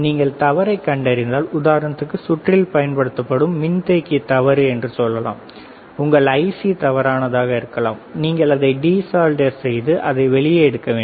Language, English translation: Tamil, If you find out the fault let us say capacitor is faulty, your IC is faulty you have to de solder it and you have to take it out